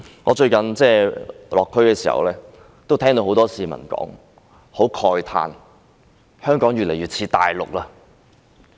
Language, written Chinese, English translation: Cantonese, 我最近落區時聽到很多市民說，慨嘆香港越來越與內地相似。, Recently when I visited the districts I heard many people lament about Hong Kong increasingly resembling the Mainland